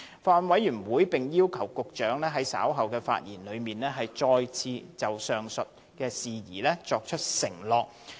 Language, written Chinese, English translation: Cantonese, 法案委員會並要求局長在稍後發言時，再次就上述事宜作出承諾。, The Bills Committee has also requested the Secretary to give this undertaking again in his speech later